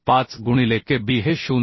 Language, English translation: Marathi, 5 into Kb is 0